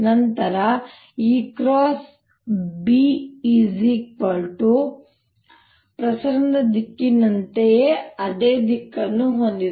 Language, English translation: Kannada, then e cross b is has the same direction as direction of propagation